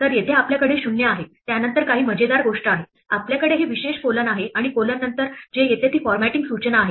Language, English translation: Marathi, So here we have 0 followed by some funny thing, we have this special colon and what comes after the colon is the formatting instruction